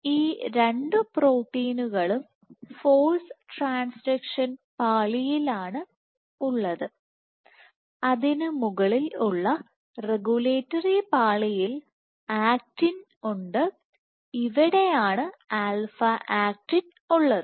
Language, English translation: Malayalam, So, both of these proteins are present in the force transaction layer on top of which you have actin in regulatory layer and this is where alpha actin is present